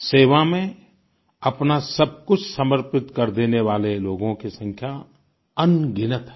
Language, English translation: Hindi, There are innumerable people who are willing to give their all in the service of others